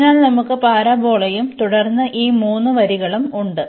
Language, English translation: Malayalam, So, we have the parabola and then these 3 lines